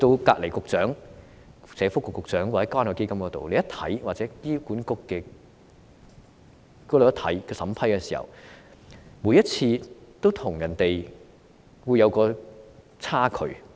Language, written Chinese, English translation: Cantonese, 當勞工及福利局局長負責的關愛基金或醫管局每次審批時，都會看到有差距。, The differences are evident in each approval process of the Community Care Fund CCF overseen by the Secretary for Labour and Welfare or HA